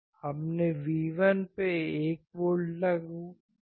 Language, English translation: Hindi, We applied 1 volt at V1